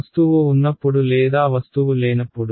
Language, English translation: Telugu, When there is objective or there no object